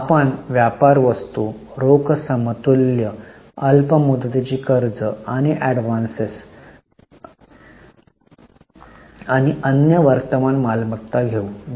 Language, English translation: Marathi, We take trade receivables, cash cash equivalence, short term loans and advances and other current assets